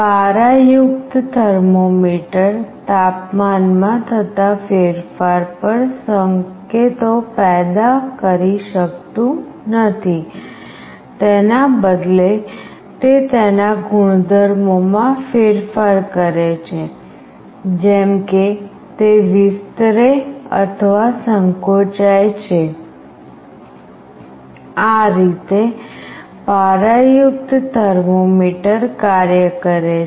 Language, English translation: Gujarati, A mercury thermometer does not produce signals on temperature change, instead it changes its property like it can expand or contract this is how a mercury thermometer works